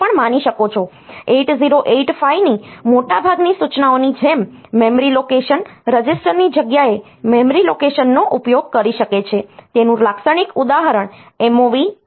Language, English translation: Gujarati, Like most of the instructions in 8085 can cause a memory location can use a memory location in place of a register typical example is MOV M comma B